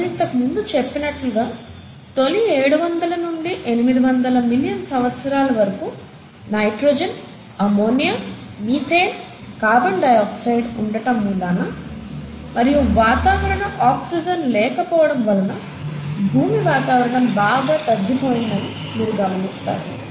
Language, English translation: Telugu, As I mentioned earlier, it is in, in the initial seven hundred to eight hundred million years, you would find that the earth’s atmosphere was highly reducing because of presence of nitrogen, ammonia, methane, carbon dioxide, and it actually did not have any atmospheric oxygen